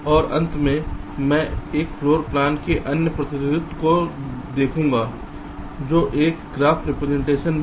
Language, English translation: Hindi, ok, right, and lastly, i shall look at anther representation of a floor plan, which is also a graph representation